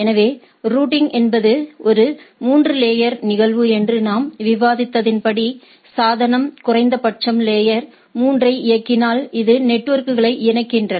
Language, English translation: Tamil, So, as we discussed that routing is a layer 3 phenomena, which connects networks, right and if the device is at least layer 3 enable